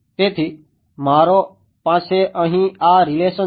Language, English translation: Gujarati, So, I have this relation over here